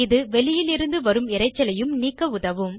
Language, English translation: Tamil, This also helps in eliminating external noise